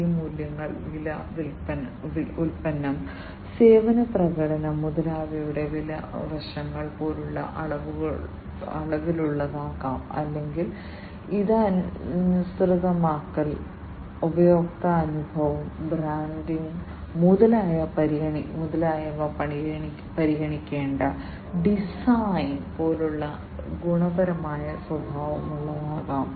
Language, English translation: Malayalam, These values could be quantitative such as the price aspects of price, product, service performance, etcetera or these could be qualitative in nature such as the design that has to be considered the customization, the customer experience, the branding, etcetera etcetera